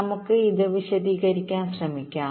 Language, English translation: Malayalam, lets try to explain this